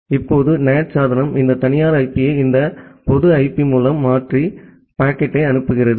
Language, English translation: Tamil, Now the NAT device is replacing this private IP with this public IP and sending the packet